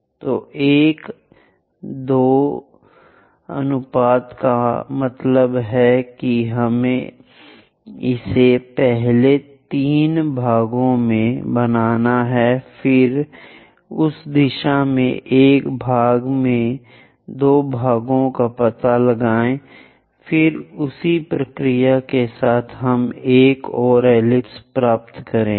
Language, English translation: Hindi, So 1 2 ratio that means we have to make it into 3 parts first of all, then locate 2 parts in that direction 1 part then go with the same procedure we will get another ellipse